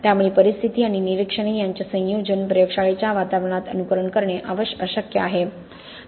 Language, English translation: Marathi, So combination of conditions and observations is impossible to simulate in lab environment